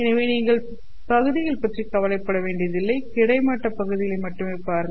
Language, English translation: Tamil, So, you don't have to worry about the segments, the vertical segments